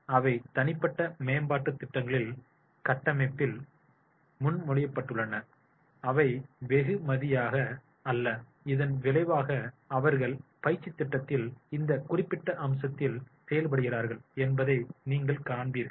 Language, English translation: Tamil, So, this is therefore they are proposed in the framework of the individual development programs and not as a reward and as a result of which you will find that is they are working on this particular aspects of the training program